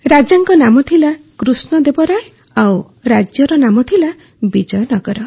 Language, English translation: Odia, The name of the king was Krishna Deva Rai and the name of the kingdom was Vijayanagar